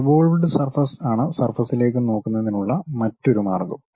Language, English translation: Malayalam, The other way of looking at surfaces is revolved surfaces